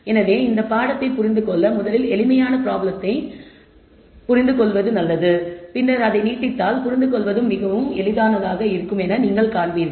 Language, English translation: Tamil, So, to understand the subject it is better to take the simplest problem un derstand it thoroughly and then you will see the extensions are fairly easy to follow